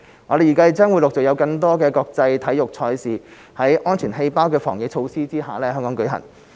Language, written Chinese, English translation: Cantonese, 我們預計將陸續有更多國際體育賽事在"安全氣泡"的防疫措施下在香港舉行。, We expect that more international sports events will be held in Hong Kong under the safety bubble epidemic prevention measures